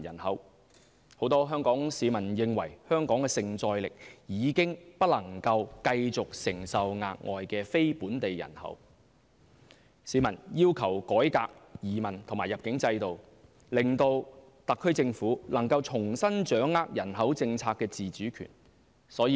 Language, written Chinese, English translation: Cantonese, 很多香港市民認為香港的承載力已不能繼續承受額外非本地人口，市民要求改革移民及入境制度，令特區政府能重新掌握人口政策的自主權。, Many Hong Kong people consider that Hong Kong has gone beyond its capacity and therefore it cannot accept non - local population anymore . The public demand the SAR Government to reform its immigration policy so that Hong Kong can regain control of its autonomy in deciding its population policies